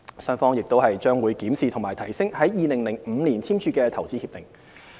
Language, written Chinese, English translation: Cantonese, 雙方亦將會檢視和提升於2005年簽署的投資協定。, The two sides will also review and upgrade the IPPA signed in 2005